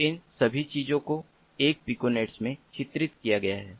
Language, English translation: Hindi, so this entire thing is a piconet